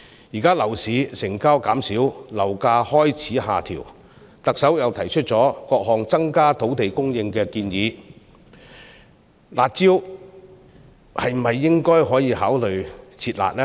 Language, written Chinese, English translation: Cantonese, 現時樓市成交減少，樓價開始下調，特首又提出了各項增加土地供應的建議，是否應考慮"撤辣"呢？, Now the property market has fewer transactions with property prices starting to drop and the Chief Executive has also put forward proposals to increase land supply . Should not consideration be given to withdrawing the curb measures?